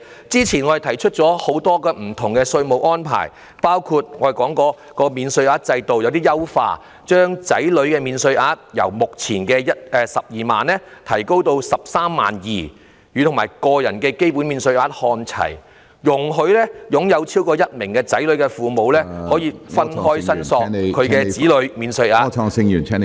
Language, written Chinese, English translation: Cantonese, 早前我們提出了很多不同的稅務安排，包括優化免稅額，把子女免稅額由目前的 120,000 元提升至 132,000 元，與個人基本免稅額看齊；容許擁有超過1名子女的父母分開申索子女免稅額......, We have proposed earlier a variety of taxation arrangements including improvements in tax allowances raising child allowance from 120,000 currently to 132,000 so as to keep it in line with the basic allowance; allowing parents with more than one child claim child allowance separately